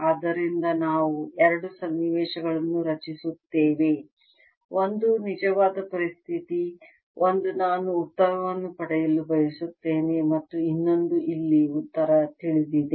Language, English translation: Kannada, so we create two situations: one which is the real situation, the, the answer, one which for which i want to get the answer, and the other where i know the answer